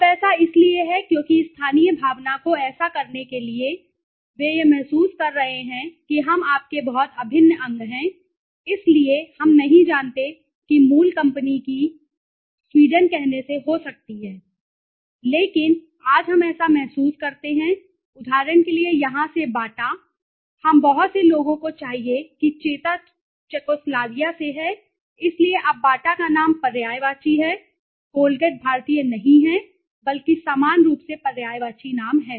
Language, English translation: Hindi, Now, this is because to give the local feel right so by doing that they are giving the feel that we are very much integral part of you so we do not know the company of original company might be from let say Sweden but today we feel as it is from here for example Bata, Bata we many people should BATA is from Czechoslovakia, so now today Bata is synonymous name, Colgate is not Indian but is synonymous name similarly okay